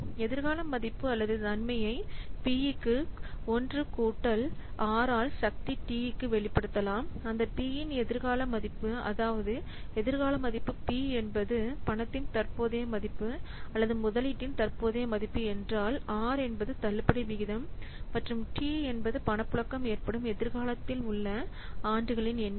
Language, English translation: Tamil, The future value or the benefit can be expressed as p by 1 plus r to the part T where p is the future value, that means F is the future value, P is the present value of the money or the present value of the investment or the discount rate and the t the number of years into the future that the cash flow occurs